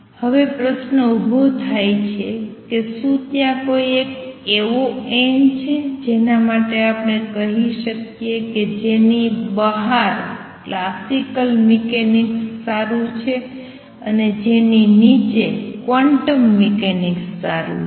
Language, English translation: Gujarati, It likes is now the question arises question is there a n critical beyond which we can say that classical mechanics is good and below which quantum mechanics is good